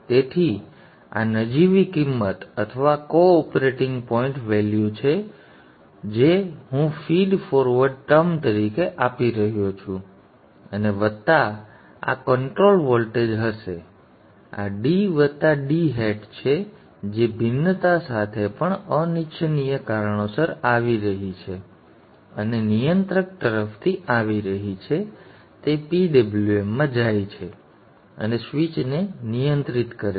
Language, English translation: Gujarati, So this is the nominal value or the operating point value which I am giving it as a feed forward term and this plus this will be this control voltage and this is D plus D hat with with even the variation that is coming due to unwanted reasons and is coming from the controller this goes into into the PWM and controls the switch